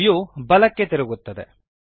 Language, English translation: Kannada, The view rotates to the right